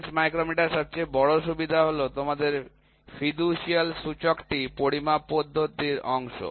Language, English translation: Bengali, The major advantage of bench micrometer is that yeah your fiducial indicator is part of the measuring system